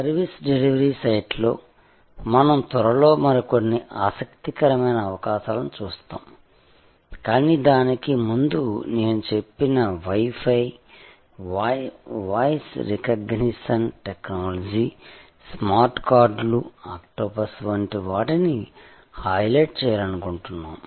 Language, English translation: Telugu, On the service delivery site, we will soon see some other interesting possibilities, but before that, we just want to highlight like Wi Fi, like voice recognition technology, smartcards, like octopus that I mentioned